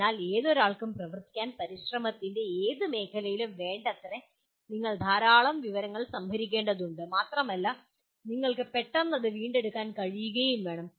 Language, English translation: Malayalam, So what happens for anyone to function, adequately in any area of endeavor, you have to store lot of information and you should be able to readily retrieve